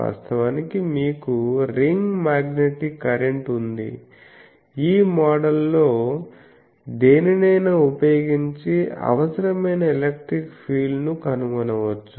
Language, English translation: Telugu, Actually you have a ring magnetic current thus, the electric field required can be found using any of these models